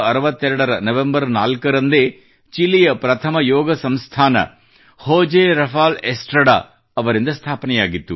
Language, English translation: Kannada, On 4th of November 1962, the first Yoga institution in Chile was established by José Rafael Estrada